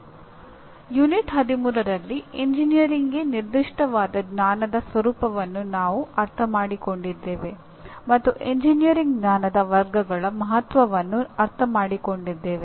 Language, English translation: Kannada, In the last session that is Unit 13, we understood the nature of knowledge that is specific to engineering and understood the importance of categories of engineering knowledge